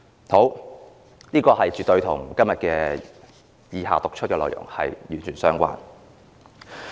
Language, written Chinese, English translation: Cantonese, 這絕對與以下我要讀出的內容完全相關。, I am going to read out something which is entirely relevant to this point